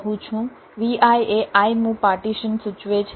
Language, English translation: Gujarati, v i denotes the ith partition